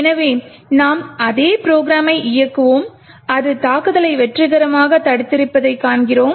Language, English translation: Tamil, So, we would run the same program and we see that it has successfully prevented the attack